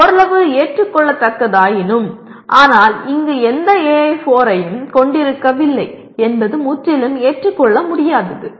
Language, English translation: Tamil, While still that is partly acceptable but not having any AI4 here is totally unacceptable